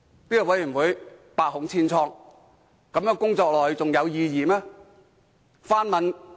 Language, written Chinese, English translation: Cantonese, 這個委員會百孔千瘡，繼續工作下去還有意義嗎？, As the Select Committee is riddled with problems is it meaningful for it to continue with its work?